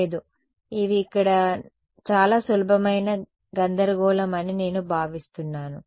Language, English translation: Telugu, No, I think these are very simple sort of confusion over here